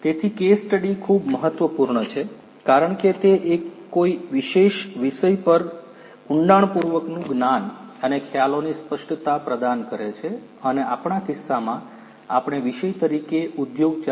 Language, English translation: Gujarati, So, case studies are very important because they provide in depth knowledge and clarity of concepts on a particular topic and in our case we are talking about the industry 4